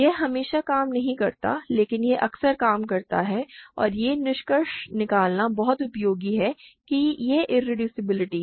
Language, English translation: Hindi, It does not always work, but it works often and it is very useful to conclude that, irreducibility here